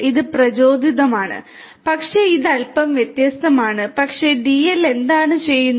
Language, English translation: Malayalam, It is inspired, but is it its bit different, but what DL does